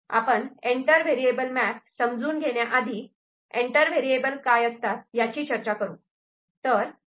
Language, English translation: Marathi, What we understand by entered variable map, before which we shall discuss what is entered variable ok